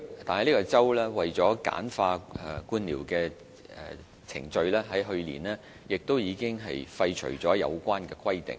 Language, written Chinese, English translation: Cantonese, 但該州為了簡化官僚程序，在去年已廢除了有關規定。, However such regulations of New South Wales were repealed last year to achieve red - tape reduction